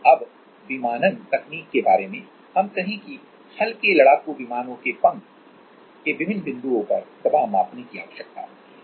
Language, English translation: Hindi, Then let us say even on aviation technology for light combat aircraft we need to measure pressure at different points of the wing